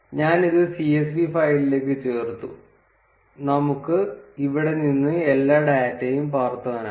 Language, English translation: Malayalam, I just added it to csv file, and we can just copy paste all the data from here